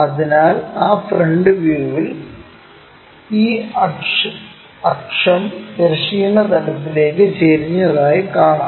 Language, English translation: Malayalam, So, in that front view we will see this axis is inclined to horizontal plane